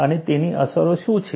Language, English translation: Gujarati, And what is its influence